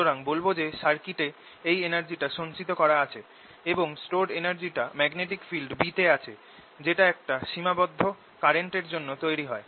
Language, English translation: Bengali, so we say this energy is stored in the circuit and we take it to be stored in the magnetic field b that is produced by this current finite